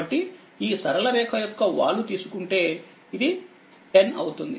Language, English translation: Telugu, So, if you take the slope of this straight line, it will be this is 10